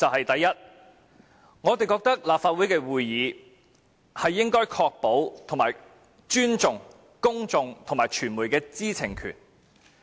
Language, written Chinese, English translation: Cantonese, 第一，立法會會議應確保及尊重公眾及傳媒的知情權。, First the Council meetings should safeguard and respect the right to know of members of the public and of the press